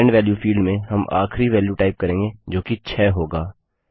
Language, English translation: Hindi, In the End value field, we will type the last value to be entered as 6